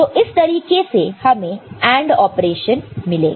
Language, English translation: Hindi, And how you get AND operation